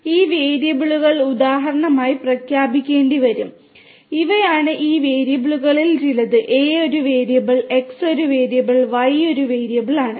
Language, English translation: Malayalam, So, these variables will have to be declared for example, these are some of these variables A is a variable, X is a variable, Y is a variable